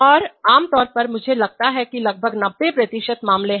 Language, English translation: Hindi, And typically in I think around ninety percent of the cases